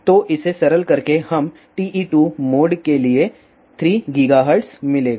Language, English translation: Hindi, So, by simplifying this, we will get 3 gigahertz for TE 2 mode